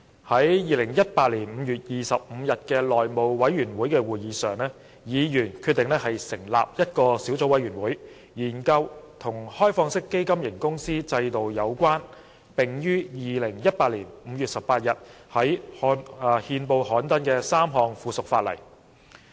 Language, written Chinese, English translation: Cantonese, 在2018年5月25日的內務委員會會議上，議員決定成立一個小組委員會，以研究與開放式基金型公司制度有關、並已於2018年5月18日在憲報刊登的3項附屬法例。, At the House Meeting on 25 May 2018 Members decided to establish a subcommittee to study the three pieces of subsidiary legislation related to the open - ended fund company regime and gazetted on 18 May 2018